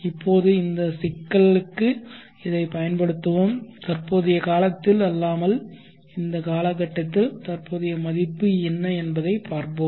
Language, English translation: Tamil, Now let us apply this to this problem and see what is the present words at this time frame which is not the present time frame